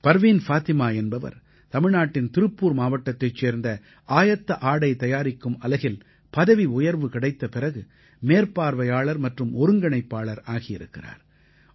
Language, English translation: Tamil, Parveen Fatima has become a SupervisorcumCoordinator following a promotion in a Garment Unit in Tirupur, Tamil Nadu